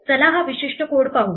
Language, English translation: Marathi, Let us look at this particular code